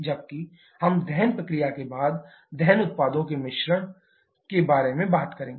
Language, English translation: Hindi, Whereas we shall be talking about the mixture of combustion products after combustion process